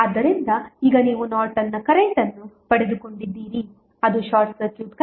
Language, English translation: Kannada, So, now you got Norton's current that is the short circuit current as 4